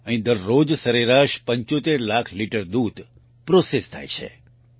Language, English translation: Gujarati, On an average, 75 lakh liters of milk is processed here everyday